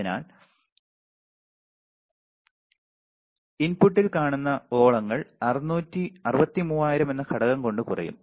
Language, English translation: Malayalam, So, the ripple seen by the input will be reduced by factor of 63000